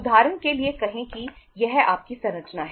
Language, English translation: Hindi, Say for example this is your structure